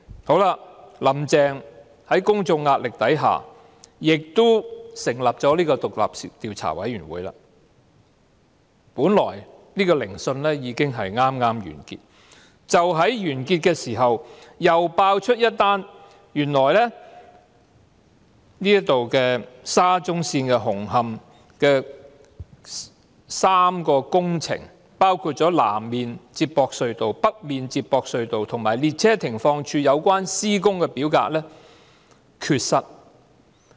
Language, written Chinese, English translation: Cantonese, 好了，"林鄭"在公眾壓力下亦成立了獨立調查委員會，本來聆訊已經剛剛完結，但就在完結時，又揭發原來與沙中線紅磡站的3項工程，包括南面連接隧道、北面連接隧道和列車停放處有關的施工表格缺失。, Well as soon as the Commission formed by Carrie LAM under public pressure finished its hearings and was about to wrap up the inquiry there was this exposure of incomplete construction documentation in relation to the works of the North Approach Tunnel South Approach Tunnel and stabling sidings of Hung Hom Station of SCL